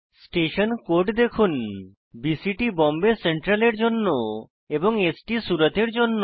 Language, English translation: Bengali, Notice the station code, BCT is for Bombay Central and ST is for Surat